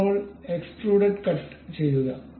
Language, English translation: Malayalam, Now, have a extruded cut